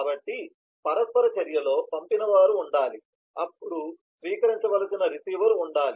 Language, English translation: Telugu, so in the interaction, there will have to be sender, then there will have to be a receiver that is to be received